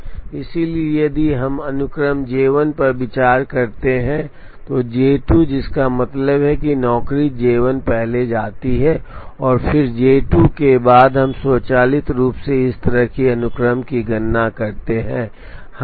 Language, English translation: Hindi, So, if we consider the sequence J 1, J 2 which means job J 1 goes first, and then followed by J 2 we automatically compute the sequence like this